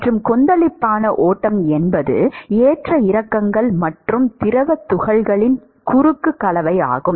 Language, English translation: Tamil, And Turbulent flow is where there are fluctuations and there is cross mixing of fluid particles